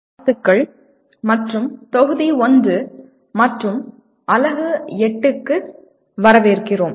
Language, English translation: Tamil, Greetings and welcome to the Module 1 and Unit 8